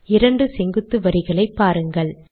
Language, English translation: Tamil, See there are two vertical lines